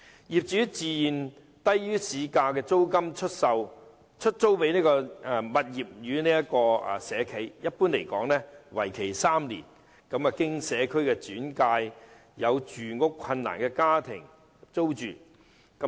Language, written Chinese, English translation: Cantonese, 業主自願以低於市價的租金出租物業予社企，一般租約為期3年，讓有住屋困難的家庭經社工轉介租住。, Property owners voluntarily lease their properties to social enterprises at rents lower than market rates generally for a period of three years . On referral by social workers such properties will subsequently be sublet to households with housing difficulties